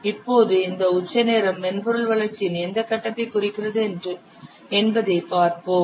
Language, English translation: Tamil, Now let's see this peak time represents which phase of software development